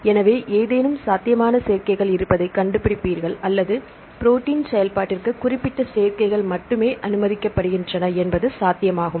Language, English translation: Tamil, So, you said find to have any possible combinations or only specific combinations are allowed or possible for protein function